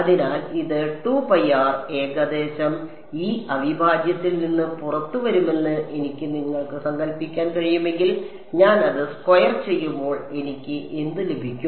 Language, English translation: Malayalam, So, if I sort of you can imagine that this root rho is going to come out of this integral approximately and when I square it what will I get